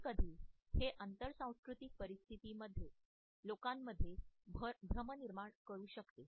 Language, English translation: Marathi, Sometimes it may generate confusions among people in cross cultural situations